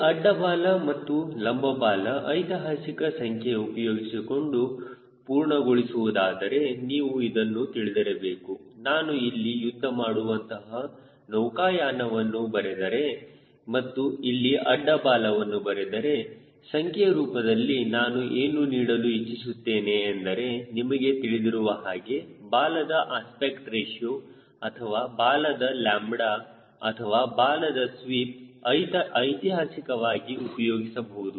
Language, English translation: Kannada, if i write fighter sailplane and lets say others, and if i here write horizontal tail, what i am trying to give some numbers where you will know what is that aspect ratio of tail or lambda of tail or sweep of tail historically being used